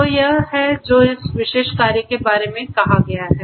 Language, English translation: Hindi, So, this is what you know this particular work talks about